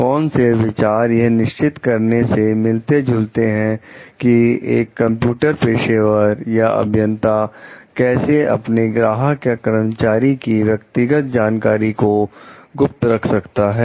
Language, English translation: Hindi, What considerations are relevant in deciding how a computer professional, or an engineer can best keep confidential the proprietary knowledge of a client or employer